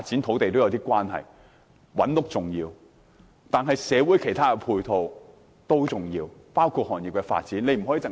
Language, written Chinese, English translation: Cantonese, 覓地建屋是重要的，但社會其他配套也重要，這包括行業發展。, It is important to identify sites for housing construction yet other complementary development in society including industrial development is also important